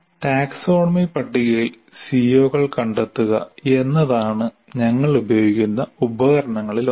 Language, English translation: Malayalam, So the one of the tools that we use is the locating COs in the taxonomy table